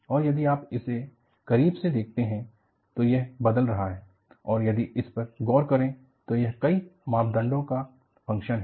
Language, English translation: Hindi, And, if you watch it closely, I have this changing and if you look at, this is the function of number of parameters